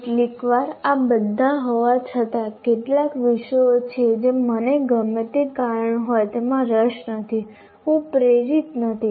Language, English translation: Gujarati, And sometimes in spite of all this, some subjects I am not interested for whatever reason